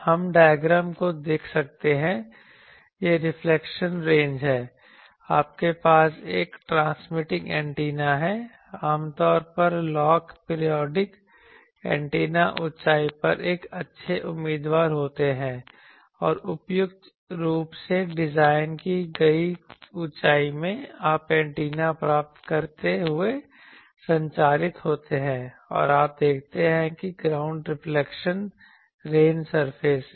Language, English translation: Hindi, We can see the diagram it is the reflection range you have a transmitting antenna usually lock periodic antennas are a good candidate, then at a height and in a suitably designed height you have the transmit receiving antenna and you see that the ground reflection from the range surface that is